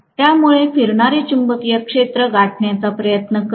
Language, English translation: Marathi, So it is trying to catch up with the revolving magnetic field